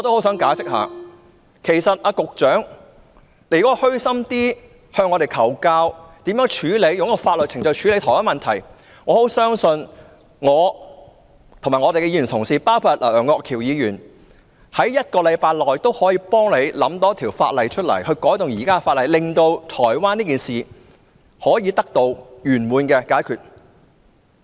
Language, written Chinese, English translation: Cantonese, 如果局長能虛心向我們求教，如何透過法律程序處理同一問題，我相信我和各位同事，包括楊岳橋議員，可以在1星期內替局長想出，可以修訂哪一項現行法例，令這宗在台灣發生的事件得到圓滿解決。, If the Secretary humbly asks us for advice about how to deal with the same issue through legal procedures I believe that Honourable colleagues including Mr Alvin YEUNG and I can advise the Secretary within a week on which existing legislation can be amended so that this incident that happened in Taiwan can be resolved satisfactorily